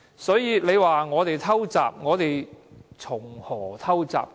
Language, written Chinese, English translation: Cantonese, 所以，你說我們"偷襲"，我們如何"偷襲"？, Subsequently you said we sprang a surprise attack . How did we spring a surprise attack?